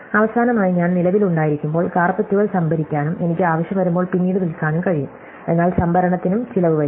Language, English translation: Malayalam, And finally, I can store carpets when I’ve made excess and sell them later when I have a demand, but storage also costs something